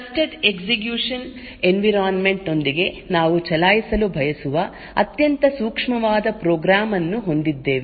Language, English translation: Kannada, With Trusted Execution Environment we have a very sensitive program that we want to run